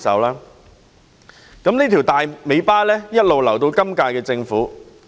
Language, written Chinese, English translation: Cantonese, 於是，這條"大尾巴"留給了今屆政府。, Hence this loose end was passed down to the current - term Government